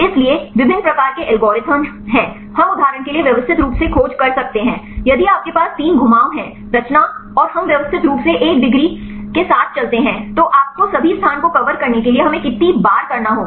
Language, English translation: Hindi, So, there are various types of algorithms, we can systematically search for example, if you have 3 rotations right and we will systematically we go with one degrees how many times we times you have to do with to cover all the space